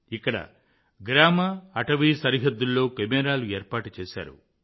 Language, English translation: Telugu, Here cameras have been installed on the border of the villages and the forest